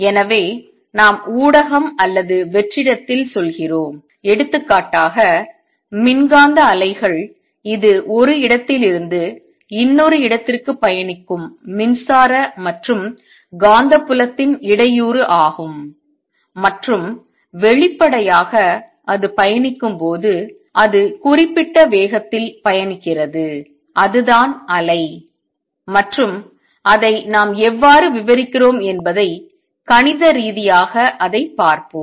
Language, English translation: Tamil, So, we are saying medium or in vacuum; for example, electromagnetic waves which is the disturbance of electric and magnetic field travelling from one place to another and obviously, when it travels, it travels with certain speed; that is the wave and how do we describe it mathematically let us see that